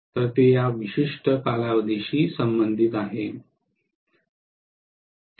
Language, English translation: Marathi, So that is corresponding to this particular period